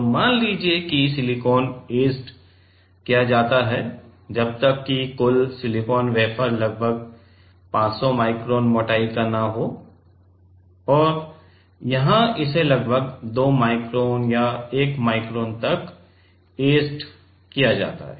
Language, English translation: Hindi, So, let us say silicon is etched till like total silicon wafer is about 500 micron thickness and here it is etched about 2 micron or 1 micron